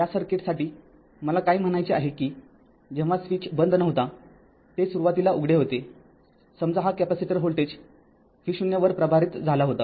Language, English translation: Marathi, What I want to mean for this circuit for this circuit right for this circuit , that when switch was not close, it was open initially, suppose capacitor was this capacitor was charged at voltage v 0 right